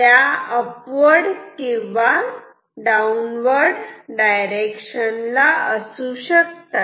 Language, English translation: Marathi, They can be upwards or downwards